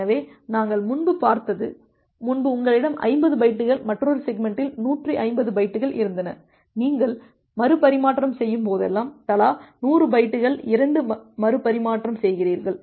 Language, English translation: Tamil, So, that we have seen earlier, that the earlier you had one segment of 50 bytes another segment of 150 bytes and whenever you are making a retransmission you are making two retransmission of 100 bytes each